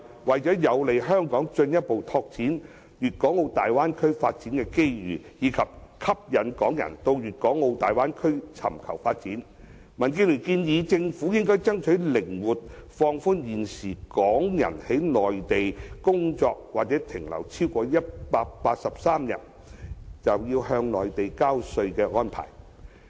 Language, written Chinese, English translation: Cantonese, 為有利香港進一步拓展大灣區的發展機遇，以及吸引港人到大灣區尋求發展，民建聯建議政府靈活放寬現時港人在內地工作或停留超過183天便要向內地交稅的規定。, To facilitate Hong Kongs further expansion of the development opportunities in the Bay Area and attract Hong Kong people to seek development there DAB suggests the Government relax the requirement for Hong Kong residents to pay Mainland tax if they work or stay in the Mainland for more than 183 days